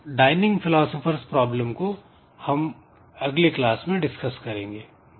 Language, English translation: Hindi, So, we'll see into this dining philosophers problem in the next class